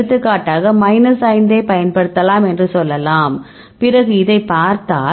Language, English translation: Tamil, For example you can say you can use it minus 5 all right, then if you see this